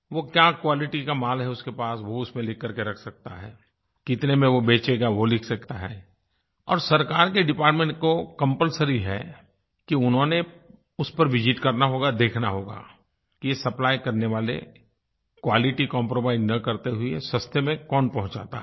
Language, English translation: Hindi, They can mention the quality of the goods, the rate at which they sell, and it is compulsory for the government departments to visit the site and see whether the supplier can supply the goods at reasonable prices without compromising on the quality